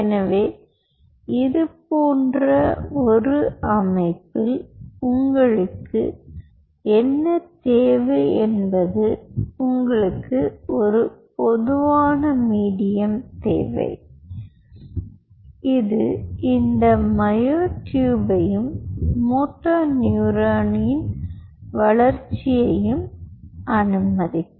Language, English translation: Tamil, so what you need it in such a setup is you needed a common medium which will allow growth of both this moto neuron as well as the myotube